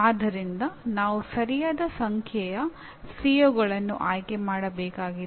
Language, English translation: Kannada, So we need to select the right number of COs